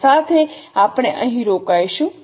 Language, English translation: Gujarati, With this we will stop here